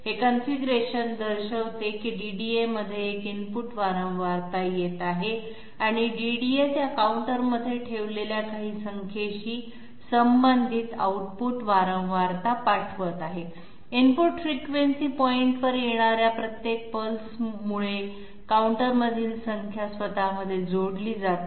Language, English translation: Marathi, This configuration shows that there is an input frequency coming into the DDA and the DDA is sending an output frequency corresponding to some number which has been kept in that counter okay; the number inside the counter gets added to itself due to each and every pulse coming in at the input frequency point